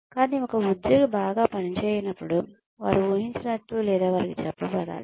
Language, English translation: Telugu, But, only when an employee does not perform well, are they expected, or should they be told